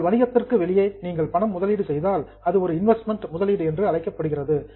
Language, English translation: Tamil, So if you put in some money outside your business it is called as an investment